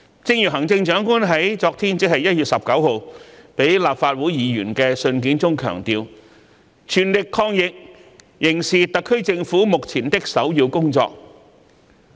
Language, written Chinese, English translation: Cantonese, 一如行政長官在昨天致立法會議員的信件中所強調，全力抗疫仍是特區政府目前的首要工作。, As emphasized by the Chief Executive in her letter dated yesterday to Members of the Legislative Council it remains the top priority of the SAR Government to make an all - out effort to fight against the epidemic